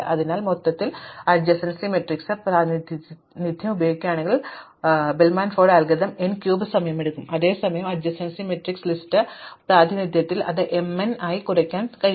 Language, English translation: Malayalam, So, therefore if use an adjacency matrix representation overall the ford algorithm takes n cube time whereas, in the adjacency list representation we can reduce that to m n